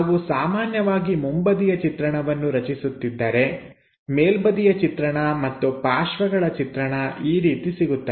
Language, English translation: Kannada, So, if we are constructing naturally the front view, top view and side view becomes in that way